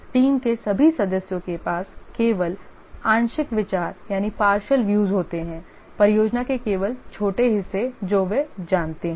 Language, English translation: Hindi, All other team members have only partial views, only small parts of the project they know